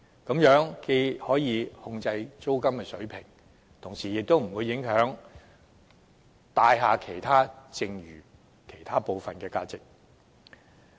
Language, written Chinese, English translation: Cantonese, 這樣既可控制租金水平，亦不會影響有關物業其他部分的市場租值。, This way the Government can exercise control over the rental levels without affecting the market rental values of other parts of the property concerned